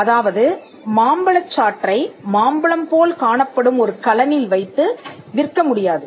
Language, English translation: Tamil, So, you cannot sell mango juice in a mango shaped container